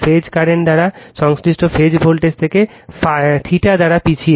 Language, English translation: Bengali, The phase current lag behind their corresponding phase voltage by theta